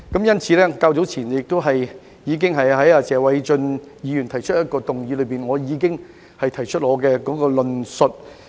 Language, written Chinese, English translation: Cantonese, 因此，較早前在謝偉俊議員提出一項質詢時，我已經表達我的論述。, Therefore I have already presented my argument when Mr Paul TSE raised a question earlier